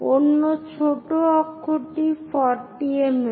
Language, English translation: Bengali, The other one minor axis is at 40 mm